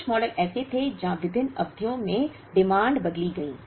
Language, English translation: Hindi, There were some models where the demands changed at different periods